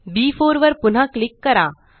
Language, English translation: Marathi, Click on the cell B4